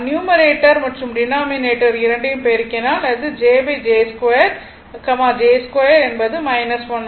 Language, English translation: Tamil, If you multiplying numerator and denominator it will be j by j square j square is minus